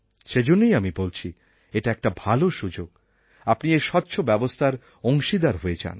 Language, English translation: Bengali, And so, this is a good chance for you to become a part of a transparent system